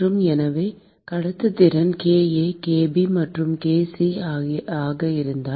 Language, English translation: Tamil, And , so, if the conductivities are kA, kB and kC